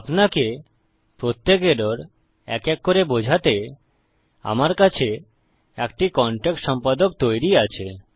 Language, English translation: Bengali, I have got a context editor ready to take you through each error one by one